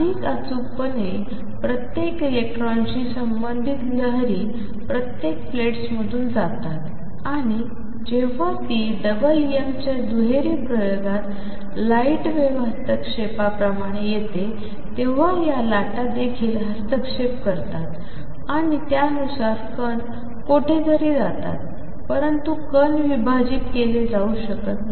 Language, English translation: Marathi, More precisely the wave associated each electron goes through both the plates and when it comes out just like light wave interference in the double Young's double slit experiment, these waves also interfere and then accordingly particle go somewhere, particle cannot be divided